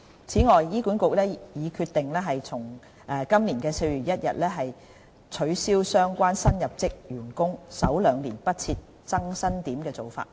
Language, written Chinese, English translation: Cantonese, 此外，醫管局已決定從今年4月1日起，取消相關新入職員工首兩年不設增薪點的做法。, Moreover HA has decided to abolish from 1 April this year onwards the policy on incremental pay freeze in the first two years of service in respect of certain new recruits